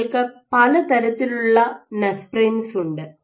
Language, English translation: Malayalam, So, you have different type of nesprins